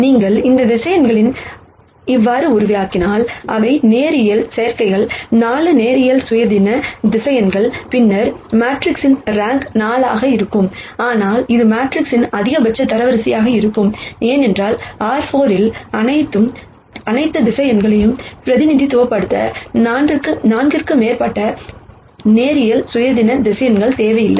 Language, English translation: Tamil, If you had generated these vectors in such a manner, that they are linear combinations of 4 linearly independent vectors, then the rank of the matrix would have been 4, but that would be the maximum rank of the matrix, because in R 4 you would not need more than 4 linearly independent vectors to represent all the vectors